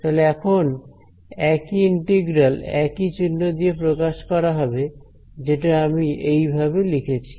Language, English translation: Bengali, And then that same integral is represented with the same symbol over here and I write it as